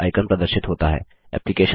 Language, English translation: Hindi, The Thunderbird icon appears